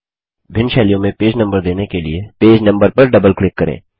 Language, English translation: Hindi, In order to give different styles to the page number, double click on the page number